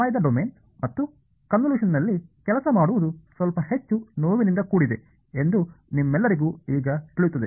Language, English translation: Kannada, And I mean all of you will know by now that working in the time domain and a convolution is a little bit more painful